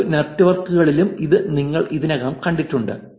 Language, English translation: Malayalam, This is similar to other networks also that we have seen